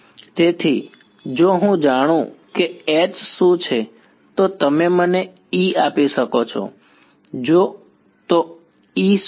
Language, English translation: Gujarati, So, what is if I know H can you give me E yes what is E